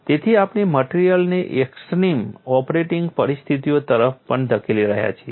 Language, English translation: Gujarati, So, we are pushing the material also to the extreme operating conditions